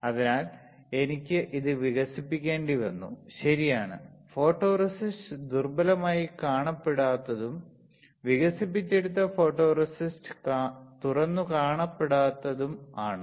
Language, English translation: Malayalam, So, I had to develop it, right, photoresist which was not exposed weaker and got developed photoresist that was not exposed